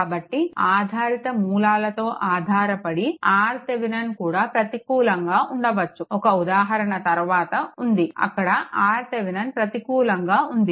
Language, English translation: Telugu, So, dependent with dependent sources, R Thevenin may become negative also; one example is there later right, there where R Thevenin is negative